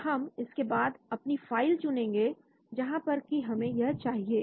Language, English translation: Hindi, so we can choose the file from where we want to